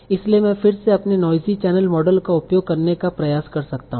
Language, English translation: Hindi, So I can again try to use my knowledge channel model